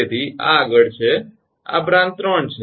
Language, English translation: Gujarati, this is branch three